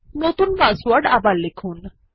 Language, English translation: Bengali, Please type the new password again